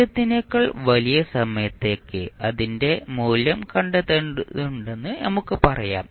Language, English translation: Malayalam, Let us say that we need to find the value of it in the figure for time t greater than 0